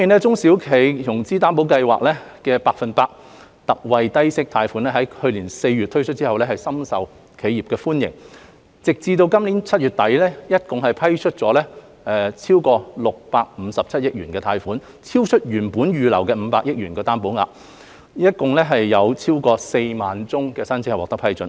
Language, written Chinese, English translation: Cantonese, 中小企融資擔保計劃的百分百特惠低息貸款於去年4月推出後，深受企業的歡迎，截至今年7月底，已批出合共657億元貸款，超出原定預留的500億元擔保額，共批出超過4萬宗申請。, Launched in April last year the special 100 % low - interest concessionary loan under the SME Financing Guarantee Scheme SFGS has been well received by the enterprises . As at end July 2021 loans amounting to 65.7 billion in total had been approved in relation to over 40 000 applications exceeding the originally reserved guarantee commitment of 50 billion